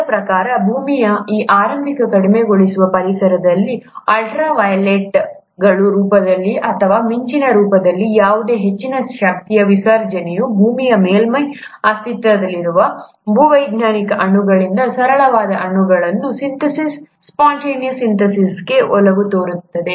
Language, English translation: Kannada, According to them, in that initial reducing environment of the earth, any high energy discharge, either in the form of ultra violet lights, or in the form of lightning would have favoured spontaneous synthesis of simple molecules from existing geological molecules on earth’s surface